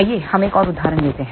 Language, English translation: Hindi, Let us take an another example